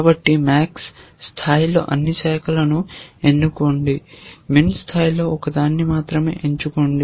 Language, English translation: Telugu, So, at max level choose all branches, at min level choose 1